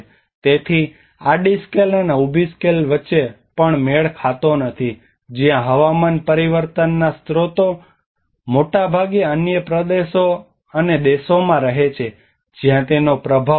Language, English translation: Gujarati, So there is also a mismatch between the horizontal scales and vertical scales where the sources of climate change often lie in other regions and countries then where it is affects are shown